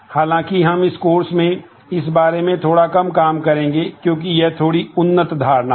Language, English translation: Hindi, However, we will do little of that in this course, because it is little bit advanced in notion